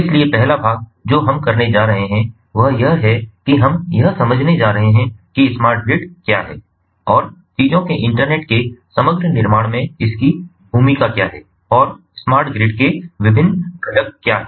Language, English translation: Hindi, so first part we are going to do is we are going to understand that what is smart grid and what is its role in the overall building of internet of things and what are different components of smart grid